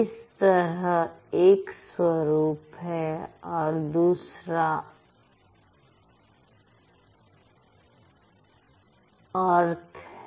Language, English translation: Hindi, So, one is the structure, the other one is the meaning